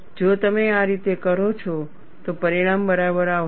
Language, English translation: Gujarati, If you do it that way, result would be all right